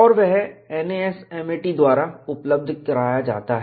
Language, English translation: Hindi, This is also possible in NASFLA